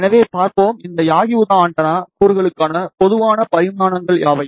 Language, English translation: Tamil, So, let us see, what are the typical dimensions for these yagi uda antenna elements